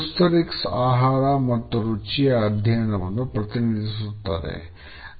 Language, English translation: Kannada, Gustorics represents studies of food and taste